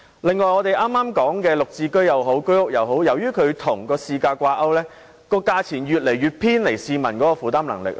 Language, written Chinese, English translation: Cantonese, 另一方面，我們剛才提到"綠置居"或居屋，由於兩者均與市價掛鈎，其售價越來越偏離市民的負擔能力。, Just now we also talked about the Green Form Subsidized Home Ownership Scheme or the Home Ownership Scheme . As both of these two schemes have their prices pegged to market prices their prices are becoming more and more unaffordable to the citizens